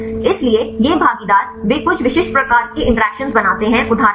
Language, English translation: Hindi, So, these partners they tend to form some specific types of interactions for example